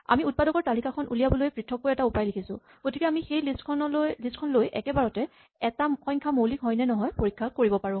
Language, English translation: Assamese, We have separately written a way to compute the list of factors, so we can take that list and directly check whether or not a given number is prime